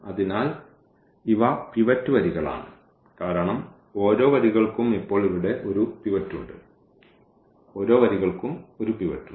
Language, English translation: Malayalam, So, these are the pivot rows because the each rows has a pivot here now, each rows has a pivot